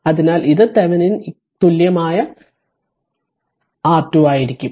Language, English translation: Malayalam, So, therefore, R Thevenin is equal to will become V by i